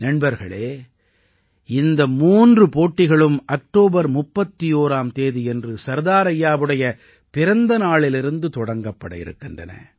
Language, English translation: Tamil, these three competitions are going to commence on the birth anniversary of Sardar Sahib from 31st October